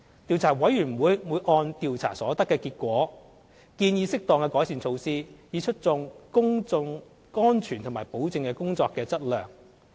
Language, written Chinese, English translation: Cantonese, 調查委員會會按調查所得結果，建議適當改善措施，以促進公眾安全和保證工程的質量。, The inquiry findings will in turn form the basis for the Commission to make recommendations on suitable improvement measures with the objective of promoting public safety and assurance on works quality